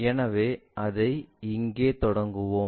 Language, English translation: Tamil, So, let us begin it here